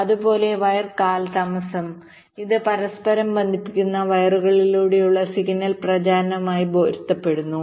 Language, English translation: Malayalam, similarly, wire delays, which correspond to the signal propagation along the interconnecting wires